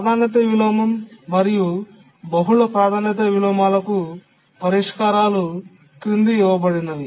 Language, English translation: Telugu, Now let's see what are the solutions for the priority inversion and multiple priority inversions